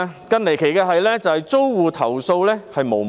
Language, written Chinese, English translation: Cantonese, 更離奇的是，租戶投訴無門。, What is more ridiculous is that tenants have nowhere to lodge their complaints